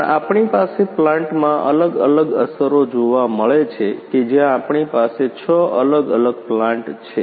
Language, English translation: Gujarati, But we have different effects in a plant, we have a six different plant in which